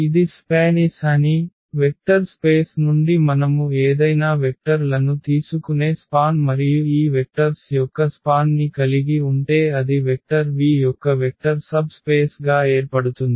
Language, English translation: Telugu, That this is span S; the span S you take any vectors, from a vector space and having the span of this these vectors that will form a vector subspace of that vector V